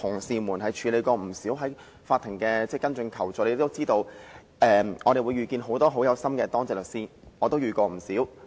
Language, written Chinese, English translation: Cantonese, 曾經處理不少有關求助的同事也應該曾遇見很多很用心的當值律師，我自己也遇過不少。, Honourable colleagues who have handled a lot of requests for assistance should have met many diligent duty lawyers . I have met quite many myself